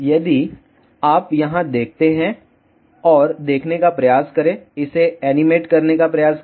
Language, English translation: Hindi, If you see here, and just try to see try to animate this